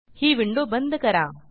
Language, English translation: Marathi, Close this window